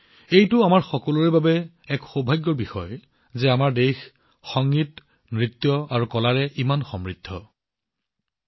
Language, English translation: Assamese, It is a matter of fortune for all of us that our country has such a rich heritage of Music, Dance and Art